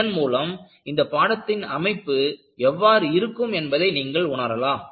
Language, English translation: Tamil, So, this will give you an idea, what will be the course structure